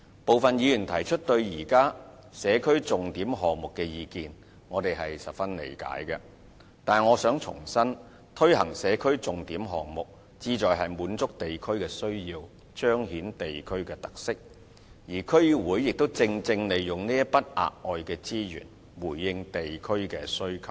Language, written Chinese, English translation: Cantonese, 部分議員提出對現有社區重點項目的意見，我們十分理解，但我想重申，推行社區重點項目，旨在滿足地區的需要，彰顯地區特色，而區議會亦正正利用這筆額外的資源，回應地區的需求。, We very much appreciate the views on the existing SPS projects put forward by some Members . But I wish to reiterate that the implementation of SPS projects seeks to meet district needs and highlight the characteristics of the districts . And DCs have basically made use of such additional resources to address district demands